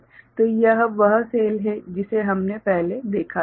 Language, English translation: Hindi, So, this is the cell that we had seen before